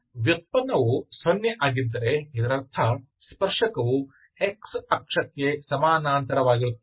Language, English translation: Kannada, But if the, because derivative is 0, that means the tangent is parallel to x axis